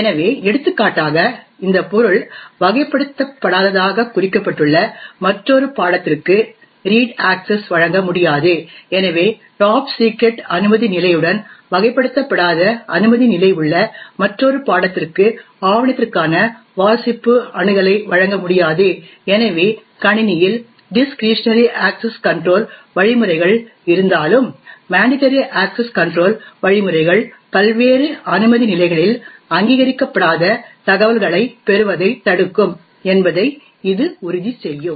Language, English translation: Tamil, So for example this subject will not be able to grant a read access to another subject who is marked as unclassified, so I subject with a clearance level of top secret will not be able to grant read access for a document to another subject who has an clearance level of unclassified, so this would ensure that even though the discretionary access control mechanisms are present in the system, the mandatory access control mechanisms would prevent unauthorised flow of information across the various clearance levels